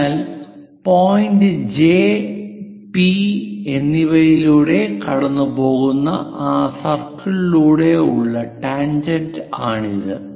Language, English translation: Malayalam, So, this is the tangent through that circle passing through point J and P